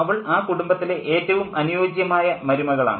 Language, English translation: Malayalam, And she is the ideal daughter in law in the family